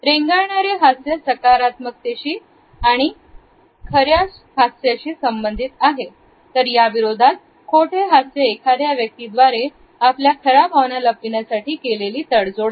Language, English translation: Marathi, A lingering smile is associated with a positive and a genuine smile, on the other hand a fake smile is normally taken up by a person, used by a person to cover the real emotional state